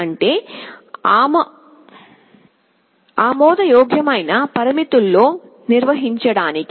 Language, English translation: Telugu, To maintain it within acceptable limits